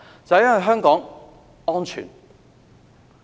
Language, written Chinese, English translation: Cantonese, 就是因為香港安全。, It is because Hong Kong is a safe place